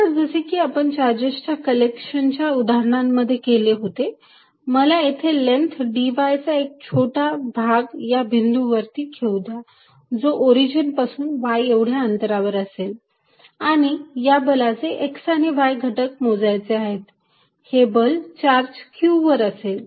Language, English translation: Marathi, Then, as we did in the case of collection of charges, let me take a small element of length dy at this point at a distance y from the origin and calculate the x and y component of the forces, of the force on charge q